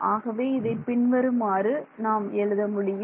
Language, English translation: Tamil, So, this expression let me write it